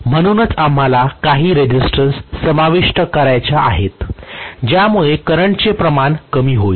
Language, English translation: Marathi, So that is the reason why we want to include some resistance which will actually reduce the amount of current